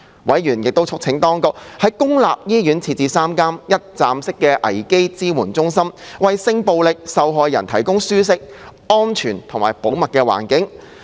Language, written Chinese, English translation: Cantonese, 委員亦促請當局在公立醫院設立3間"一站式危機支援中心"，為性暴力受害人提供舒適、安全和保密的環境。, Members also called on the Administration to set up three one - stop crisis support centres one each in three public hospitals with a view to providing a comfort secure and private environment for sexual violence victims